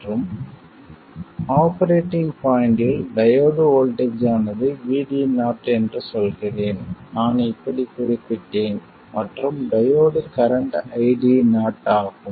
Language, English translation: Tamil, And let me say that at the operating point the diode voltage is VD 0, I denoted like this and the diode current is ID 0